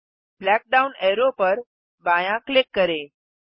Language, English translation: Hindi, Left click the black down arrow